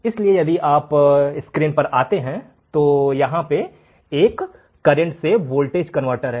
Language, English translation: Hindi, So, if you come in the screen, there is a current to voltage converter